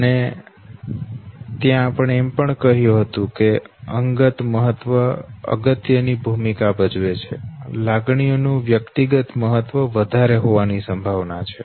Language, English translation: Gujarati, And there also we said that personal significance plays a very important role, now that emotions which is likely to have no more of a personal significance